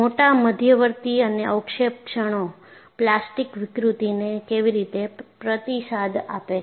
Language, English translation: Gujarati, How do the large intermediate and precipitate particles respond to this plastic deformation